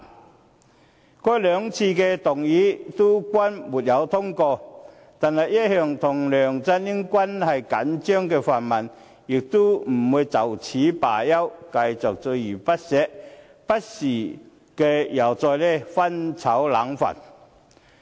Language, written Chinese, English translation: Cantonese, 然而，該兩項議案均不獲通過，但一向與梁振英關係緊張的泛民不會就此罷休，繼續鍥而不捨，不時又再"翻炒冷飯"。, Although both motions were not passed the pan - democrats have still been pursuing the matter earnestly . They intend to hunt down the Chief Executive by repeating the same story again and again